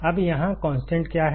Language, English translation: Hindi, Now, what is the constant here